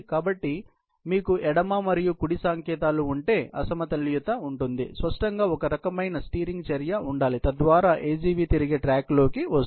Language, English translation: Telugu, So, if you have the left and the right signals, having a mismatch; obviously, there has to be some kind of a steering action so that, the AGV is put back into track